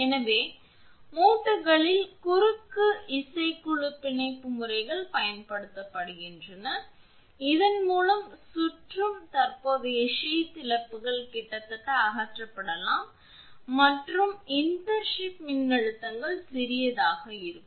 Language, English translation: Tamil, So, methods of cross band bonding at joints are used by which circulating current sheath losses can be virtually eliminated and the internship voltages kept small